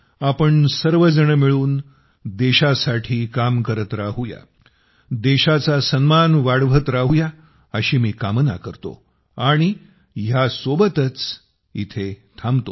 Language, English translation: Marathi, Let us all keep working together for the country like this; keep raising the honor of the country…With this wish I conclude my point